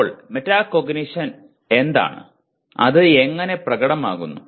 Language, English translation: Malayalam, Now further what does metacognition, how does it manifest